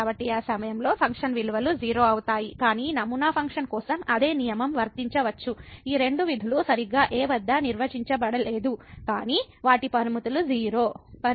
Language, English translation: Telugu, So, those at that point the function values was , but the same rule one can apply if for sample function these two functions are not defined exactly at , but their limits are